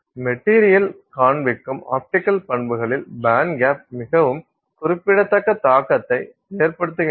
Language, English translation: Tamil, The band gap of the material has a very significant impact on the optical properties displayed by the material